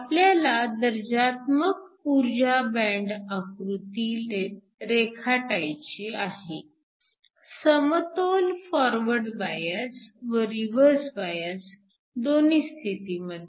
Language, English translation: Marathi, So, we asked to draw a qualitative energy band diagram both in equilibrium forward and reverse bias